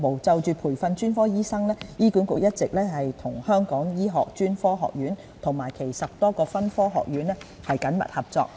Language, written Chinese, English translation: Cantonese, 就培訓專科醫生方面，醫管局一直與香港醫學專科學院及其10多個分科學院緊密合作。, As for the training of specialist doctors HA has all along been working closely with the Hong Kong Academy of Medicine and its over 10 Academy Colleges